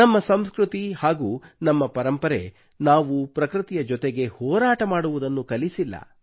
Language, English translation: Kannada, Our culture, our traditions have never taught us to be at loggerheads with nature